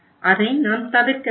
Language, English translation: Tamil, We should avoid that